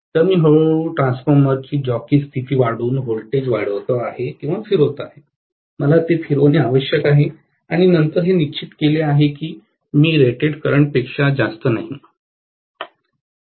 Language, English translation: Marathi, So, what I will do is slowly increase the voltage applied by increasing the jockey position of the transformer or rotate, I have to rotate it and then make sure that I don’t exceed the rated current